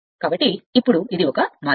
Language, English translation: Telugu, So, now this this is one way